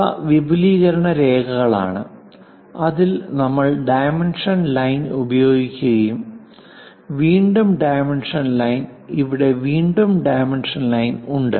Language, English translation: Malayalam, These are the extension lines and in that we use dimension line, again dimension line here and also here dimension line